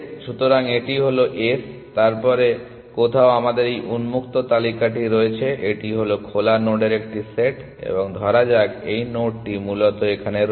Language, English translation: Bengali, So, this is S and then somewhere we have this open list, this is the set of open node and let us say this node n is here essentially